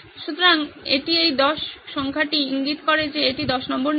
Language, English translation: Bengali, So this is the number 10 in this signifies that this is the number 10 principle